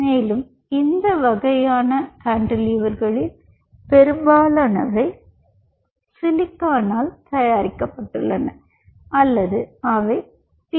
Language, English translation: Tamil, and most of these kind of cantilevers are made on silicon substrate or they are made on pdml substrate